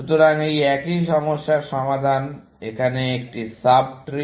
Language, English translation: Bengali, So, the solution for this same problem is a sub tree here